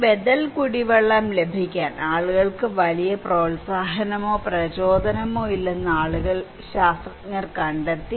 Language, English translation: Malayalam, The scientists found that people are not very encouraged, not very motivated to have these alternative drinking water, right